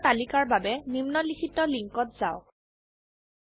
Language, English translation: Assamese, Refer the following link for list of commands